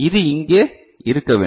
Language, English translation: Tamil, So, this should be over here right